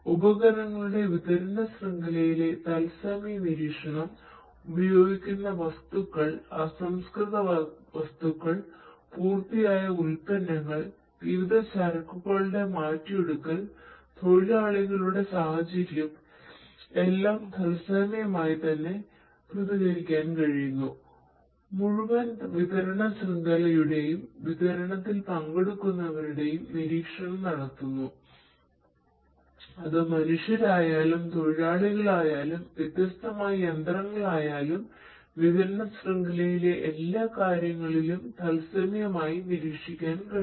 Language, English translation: Malayalam, Real time monitoring in the supply chain of equipment, materials being used, raw materials, finished products, finished goods processes, workers environment, everything in real time, monitoring in real time of the entire supply chain and the participants in the supply chain; be it the humans, the workers the laborers and so on or be it the different machinery, everything is going to be possible to be monitored in everything in the supply chain is going to be possible to be monitored in real time